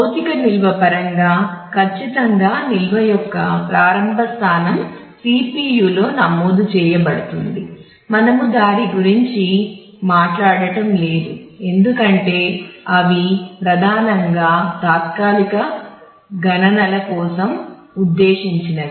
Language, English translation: Telugu, So, in terms of the physical storage certainly the absolute starting point of the storage is registered in the CPU; we are not talking about that because they are primarily meant for temporary computations